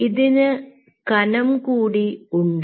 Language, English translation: Malayalam, and ah, this has ah thickness